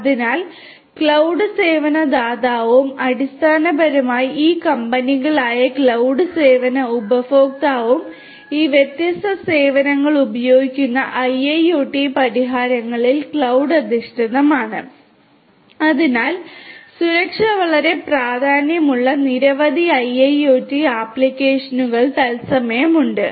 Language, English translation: Malayalam, So, cloud service provider and the cloud service consumer who are basically this companies which are using these different services the IIoT solutions which are cloud based and so on